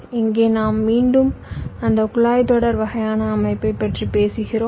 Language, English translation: Tamil, well, here we are again talking about that pipeline kind of an architecture